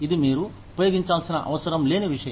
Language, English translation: Telugu, It is just something that, you did not need to use